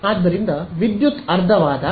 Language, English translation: Kannada, So, when power becomes half